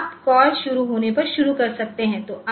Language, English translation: Hindi, So, you can start when the call is starting